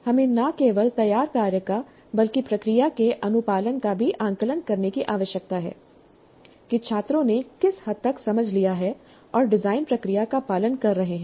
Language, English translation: Hindi, We need to assess not only the finished work, but also the compliance to the process to what extent the students have understood and are following the design process